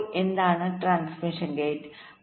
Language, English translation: Malayalam, so what is a transmission gate